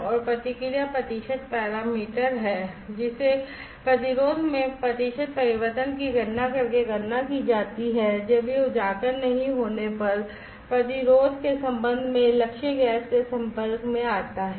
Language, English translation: Hindi, And the response percent is the parameter, which is calculated by computing the percentage change in the resistance, when exposed to target gas with respect to the resistance when it is not exposed